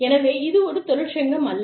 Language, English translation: Tamil, So, this is not a union